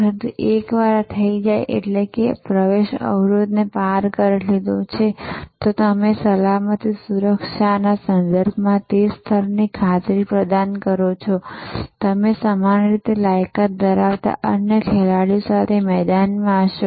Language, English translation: Gujarati, But, once this is done that means you have this, you have cross this entry barrier, you have provided that level of assurance with respect to safety, security, you will be in the arena with number of other players who have also similarly qualified